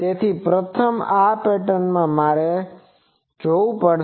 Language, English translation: Gujarati, So, first in this pattern, I will have to look at that